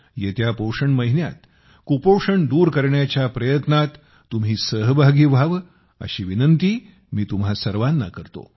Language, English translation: Marathi, I would urge all of you in the coming nutrition month, to take part in the efforts to eradicate malnutrition